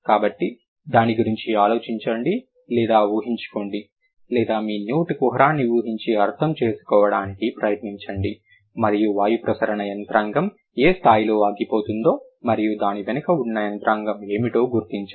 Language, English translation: Telugu, So, think about it or imagine or try to visualize your mouth cavity and you see how at what level the airflow mechanism, like the airflow gets stopped